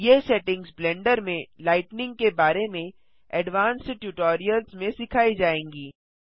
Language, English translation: Hindi, These settings will be covered in more advanced tutorials about lighting in Blender